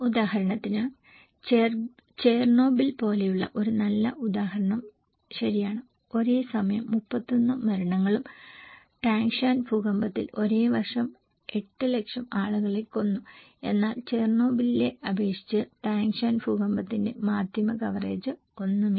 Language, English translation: Malayalam, For example, a very good example like Chernobyl okay, that killed only 31 deaths and Tangshan earthquake at the same time and same year killed 800,000 people but compared to Chernobyl the media coverage of Tangshan earthquake is nothing, was nothing